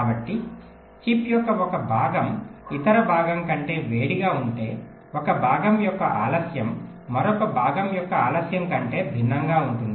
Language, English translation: Telugu, so if one part of chip is hotter than other part, so may be the delay of one part will be different from the delay of the other part